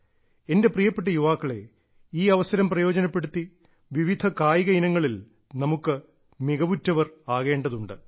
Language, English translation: Malayalam, My dear young friends, taking advantage of this opportunity, we must garner expertise in a variety of sports